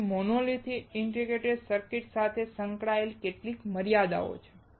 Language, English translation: Gujarati, So, there are certain limitations associated with monolithic integrated circuits